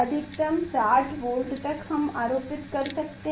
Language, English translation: Hindi, maximum 60 volt we can apply